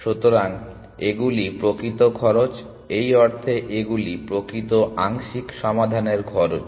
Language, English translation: Bengali, So, these are actual cost in the sense these are cost of actual partial solutions found